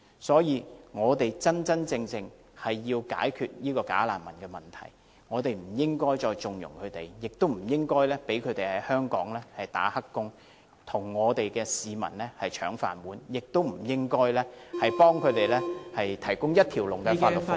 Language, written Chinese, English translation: Cantonese, 所以，我們要切實解決"假難民"問題，不應該再縱容他們，不應該讓他們在香港當"黑工"，和香港市民爭"飯碗"，也不應該為他們提供......一條龍的法律服務......, Therefore we must seek a concrete solution to the problem of bogus refugees . We should no longer connive at them they should no longer be allowed to take up illegal employment in Hong Kong and compete for jobs with Hong Kong people and a full package of legal services should also not be provided to them